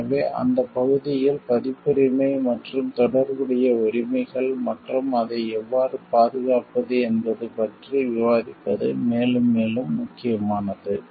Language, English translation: Tamil, So, in that area like it has become more and more important to discuss about the copyrights and related rights of the like copyrights, and related rights, and how to protect it